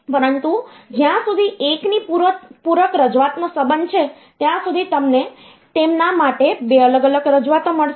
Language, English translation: Gujarati, But as far as the 1’s complement representation is concerned, you have got 2 different representations for them